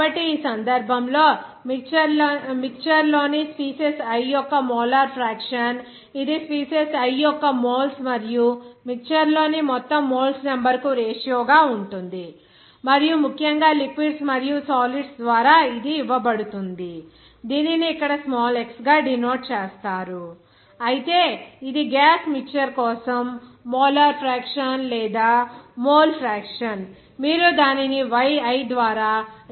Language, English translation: Telugu, So, in this case, the mole fraction of the species i in a mixture that will be the ratio of moles of species i to the total number of moles in the mixture and is given by especially for liquids and solids, that will be denoted by small x that is here, whereas this for gaseous mixture, the molar fraction or mole fraction you have to denote it by yi